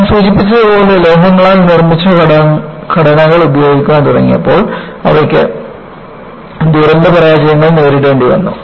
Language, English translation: Malayalam, And, as I mentioned, when they started using structures made of metals, they had to come up and deal with catastrophic failures